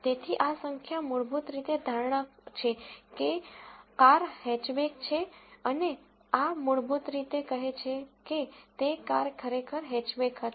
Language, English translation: Gujarati, So, this number basically is a prediction that a car is a Hatchback and this basically says, that car was truly a Hatchback